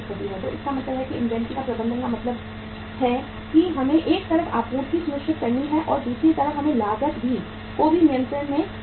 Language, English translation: Hindi, So it means managing the inventory means we have to on the one side ensure the supply also and second side is we have to keep the cost under control also